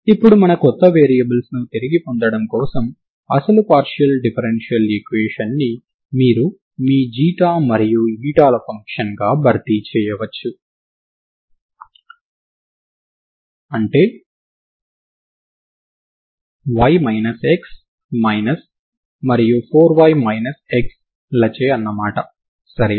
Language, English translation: Telugu, Now to get back my new variables so the actual partial differential equation you can also simply replace X Xi Xi and eta as your function Xi and eta, are Y minus X and Y minus 4 Y minus X ok